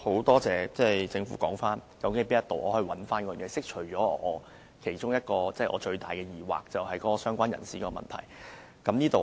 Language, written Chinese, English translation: Cantonese, 多謝政府的提醒，讓我找回遺漏之處，釋除我其中一個最大的疑惑，就是相關人士的問題。, I thank the Government for helping me on this omission and on resolving one of my major queries regarding the issue of connected person